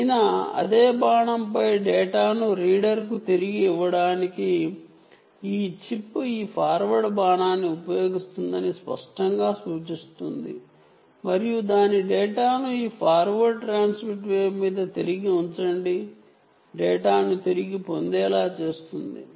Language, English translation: Telugu, this arrow clearly indicates that this chip is using this forward arrow to give the data back to the reader on the same arrow, which is a clear indicator that it is trying to use the forward transmitted wave and put its data back on this forward transmitted wave, which means it is doing a back scatter of the data